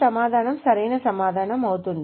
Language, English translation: Telugu, So this is correct answer